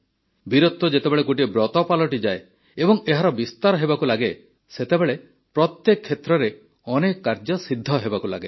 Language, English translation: Odia, When bravery becomes a vow and it expands, then many feats start getting accomplished in every field